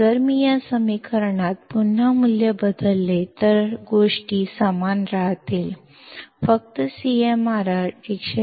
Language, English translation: Marathi, If I substitute this value again in this equation, the things remain the same; only CMRR is 10 raised to 5